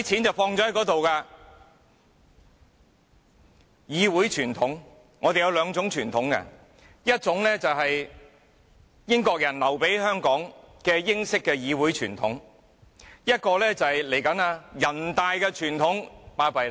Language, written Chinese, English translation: Cantonese, 說到議會傳統，我們有兩種傳統，一種是英國人留給香港的英式議會傳統，另一種就是人大傳統。, When it comes to parliamentary tradition we have two kinds of tradition . One is the British parliamentary tradition passed to Hong Kong by the British while the other one is the tradition from the National Peoples Congress NPC